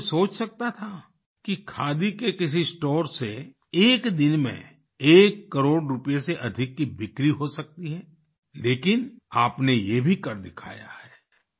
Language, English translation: Hindi, Could anyone even think that in any Khadi store, the sales figure would cross one crore rupees…But you have made that possible too